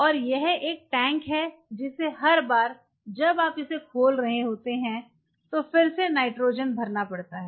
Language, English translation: Hindi, And this is a tank which has to be replenished time to time with the with nitrogen as your every time you are opening it